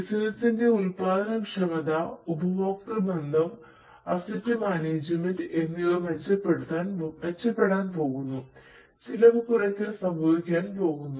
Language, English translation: Malayalam, The productivity of the business is going to improve, the customer relationship is going to improve, the asset management is going to improve, the cost reduction is going to happen and so on